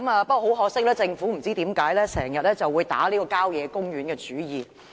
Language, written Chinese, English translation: Cantonese, 不過，很可惜，政府卻不知為何經常向郊野公園打主意。, But regrettably for reasons unknown the Government is always eyeing the country parks